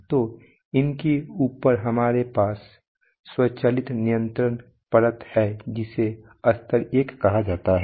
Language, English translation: Hindi, So, on top of these we have the automatic control layer which is called level 1